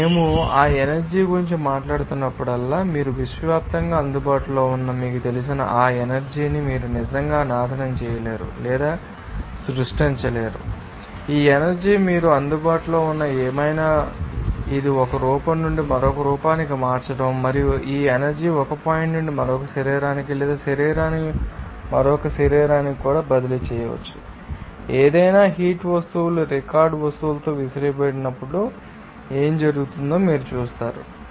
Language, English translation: Telugu, And you will see that whenever we are talking about that energy, you cannot actually destroy or create that energy who said you know universally available their only thing is that this energy whatever available that you can you know that convert this from one form to another form And this energy can also be transferred from one point to another or from one body to another body, like any heat object is in tossed with record object what will happen you will see that heat energy will be transferred from these hot body to the cold body